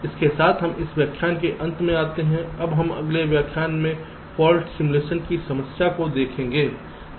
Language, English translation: Hindi, now, in our next lecture, we shall be looking at the problem of fault simulation